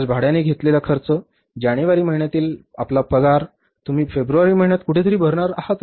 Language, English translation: Marathi, The expenses on account of this your rent, your, say, salaries, you have for the month of January, you are going to pay somewhere in the month of February